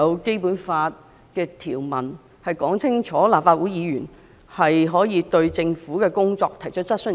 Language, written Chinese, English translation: Cantonese, 《基本法》賦權立法會議員對政府的工作提出質詢。, The Basic Law empowers Members to raise questions on the work of the Government